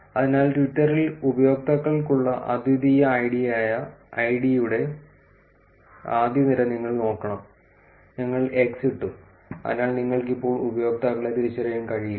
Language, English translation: Malayalam, So, you should look at the first column which is the id, which is the unique id that the users have on Twitter, we have put x so that you can also not identify the users for now